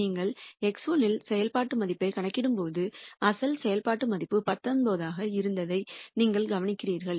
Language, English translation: Tamil, And when you compute the function value at x 1 you notice that the original function value was 19